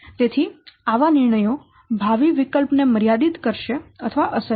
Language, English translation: Gujarati, So such decisions will limit or affect the future options